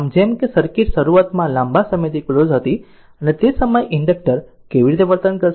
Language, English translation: Gujarati, So, as as the circuit initially was closed for a long time and and at that time your how the inductor will behave right